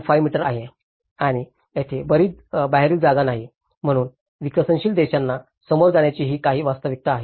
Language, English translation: Marathi, 5 meters and there is no outside space, so these are some of the reality which the developing countries face